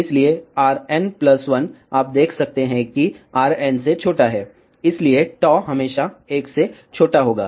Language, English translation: Hindi, So, R n plus 1, you can see is smaller than R n, hence tau will be always smaller than 1